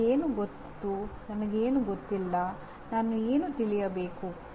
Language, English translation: Kannada, What I know, what I do not know, what I want to know